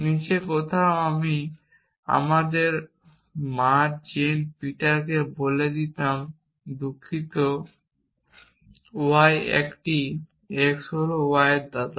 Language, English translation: Bengali, Somewhere down there I would have let us say a mother Jane Peter sorry oh ya a x is the grandfather of y